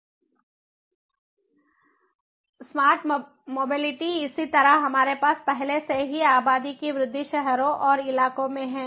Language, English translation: Hindi, smart mobility, likewise, we already have a addition to the population, we have the cities, the localities and so on